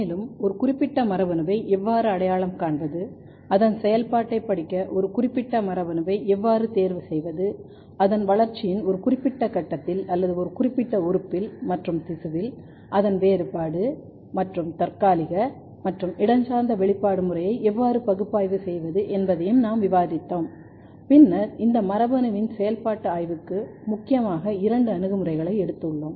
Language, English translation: Tamil, And, we have covered how to identify a particular gene, how to choose a particular gene to study its function, then how to analyse its differential as well as temporal and spatial expression pattern at a particular stage of the development or in a particular organ and tissue, then we have taken this gene for the functional study which two approaches mainly we have studied one is the gain of function approach and the loss of function approach